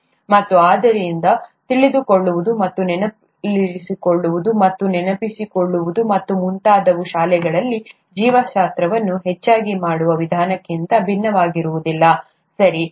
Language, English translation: Kannada, And therefore, knowing and remembering and recalling and so on so forth is no different from the way biology is done largely in schools, right